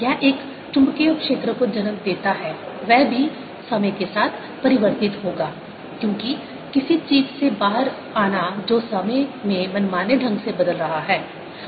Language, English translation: Hindi, it gives rise to magnetic field which will also change with times, coming out of something which is changing arbitrarily in time